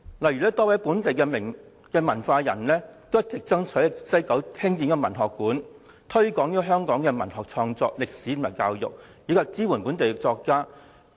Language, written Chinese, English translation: Cantonese, 例如，多位本地文化人一直爭取在西九文化區興建文學館，以推廣香港文學創作、歷史和教育，以及支援本地作家。, For example a number of local cultural workers have been striving for the building of a literary centre in WKCD to promote the development of literary works history and education in Hong Kong and to support local writers